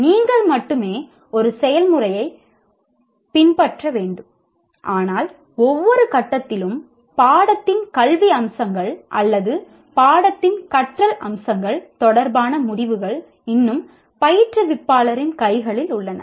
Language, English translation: Tamil, Only you follow the process, but at every stage the decisions related to academic aspects of the course or learning aspects of the course are still in the hands of the instructor